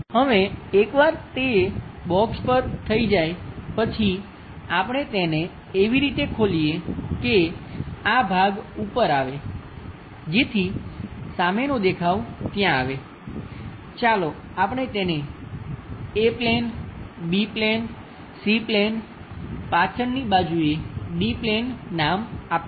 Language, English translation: Gujarati, Now, once it is done on that box, we open it in such a way that this part comes to top so that the front view will be there, let us name it like A plane, B plane, C plane, the back side of is D plane, the bottom one is E plane, the back side of that is F plane